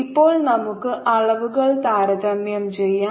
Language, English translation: Malayalam, now we can compare the dimensions